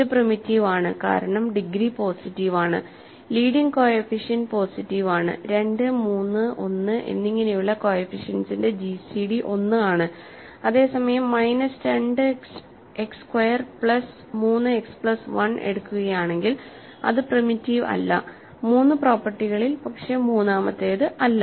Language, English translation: Malayalam, It is primitive because degree is too positive, the leading coefficient too is positive, gcd of the coefficients which is 2, 3 and 1 is 1 whereas, if we take minus 2 X squared plus 3 X plus 1 is not primitive because it has true the 3 properties, but not the third